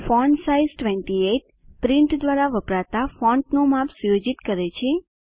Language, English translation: Gujarati, fontsize 28 sets the font size used by print